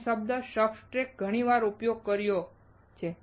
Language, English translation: Gujarati, I have used this word "substrate" many times